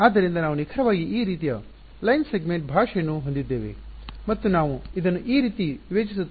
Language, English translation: Kannada, So, that is exactly what will do we have a line segment language like this and we discretize it like this